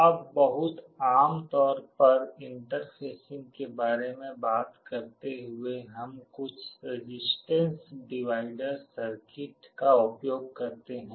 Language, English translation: Hindi, Now, talking about interfacing very typically we use some kind of a resistance divider circuit